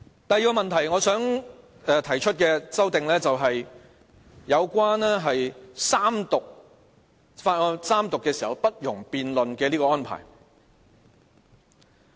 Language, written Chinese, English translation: Cantonese, 第二個問題，我想談談有關法案三讀時不容辯論的安排而提出的修訂。, The second thing I want to discuss is the amendment that seeks to forbid any debate during the Third Reading of a Bill